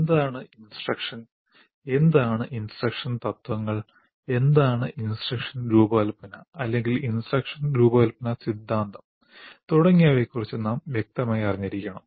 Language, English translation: Malayalam, Now, we have to be clear about what is instruction, what are instructional principles, what is instruction design or instruction design theory and so on